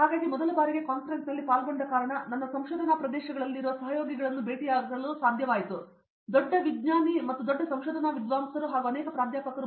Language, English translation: Kannada, So, it was very surprise for me because first time I attended the conference, I am able to meet peers in my research areas and also a big big scientist and big big research scholars along with many professors